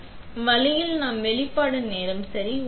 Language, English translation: Tamil, So, that way we adjust the exposure time